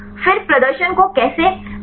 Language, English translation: Hindi, Then how to validate the performance